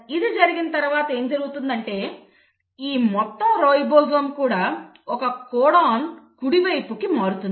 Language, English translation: Telugu, And once this happens, so what will happen then is that this entire ribosome will shift by one codon to the right